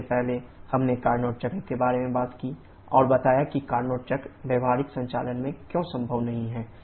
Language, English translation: Hindi, First, we talked about the Carnot cycle and explained why the Carnot cycle is not possible to achieve in practical operation